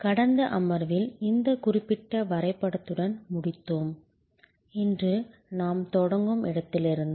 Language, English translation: Tamil, In the last session, we ended with this particular diagram and this is where we will start today